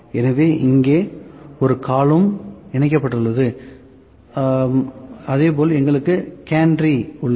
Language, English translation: Tamil, So, this is a column that is attached here so, similarly we have gantry